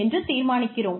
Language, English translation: Tamil, Whether, we want to